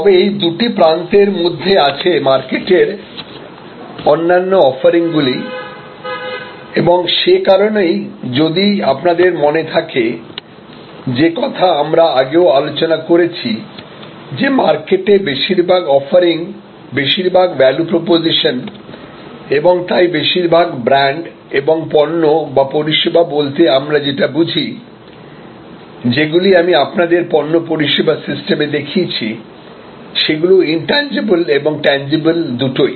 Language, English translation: Bengali, But, between these two extremes, like most of the other offerings in the marketplace and that is why if you remember we had discussed earlier, that most offerings in the marketplace, most value proposition and therefore most brands are both tangible and intangible or products and services depicted also by the coinage, which I presented to you product service system